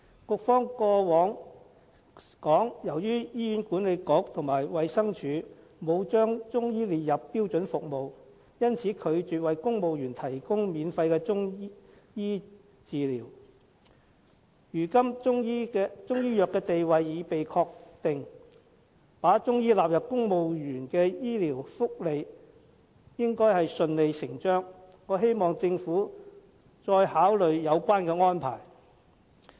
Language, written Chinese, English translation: Cantonese, 局方過往曾表示，由於醫院管理局和衞生署沒有把中醫列入標準服務，因此拒絕為公務員提供免費的中醫藥治療，如今中醫藥的地位已被確定，應順理成章把中醫納入公務員的醫療福利，我希望政府再次考慮有關安排。, The Administration refused to provide free Chinese medicine treatments to civil servants because Chinese medicine was not listed as a standard service by the Hospital Authority and the Department of Health . Now that the status of Chinese medicine is established it is only logical to include Chinese medicine in civil service medicine welfare . I hope the Government will reconsider this arrangement